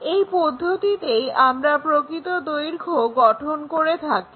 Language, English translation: Bengali, This is the way we construct this true length